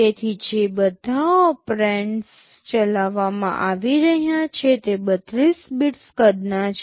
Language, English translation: Gujarati, So, all operands that are being operated on are 32 bits in size